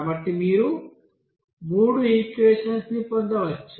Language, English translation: Telugu, So you can get three you know equations there